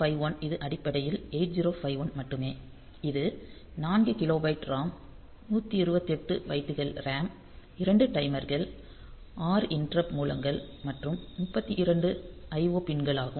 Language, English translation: Tamil, So, 8951 which is basically the 8051 only so it is 4 kilobyte of RAM ROM 128 bytes of RAM 2 timers 6 interrupt sources and 3 2 IO pins